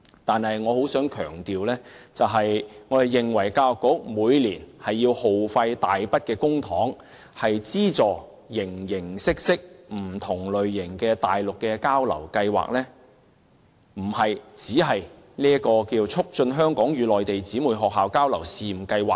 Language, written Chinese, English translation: Cantonese, 但是，我仍想強調一點，我們認為教育局每年耗費大筆公帑，以資助不同類型的內地交流計劃，問題並非只在於這項"促進香港與內地姊妹學校交流試辦計劃"。, However I still wish to emphasize that in our opinion the problem with the huge sum of public money spent on funding different types of Mainland exchange programmes under the Education Bureau every year lies not only in the Pilot Scheme